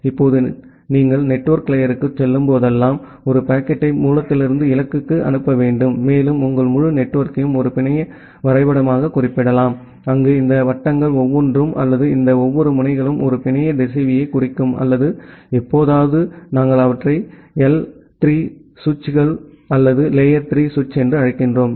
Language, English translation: Tamil, Now whenever you are going to the network layer and you need to forward a packet from the source to the destination and your entire network can be represented as a network graph, where each of these circles or each of these nodes represent a network router or sometime we call them as L3 switches or the layer 3 switch